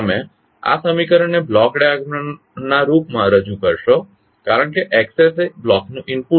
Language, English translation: Gujarati, You will represent this particular equation in the form of block diagram as Xs is the input to the block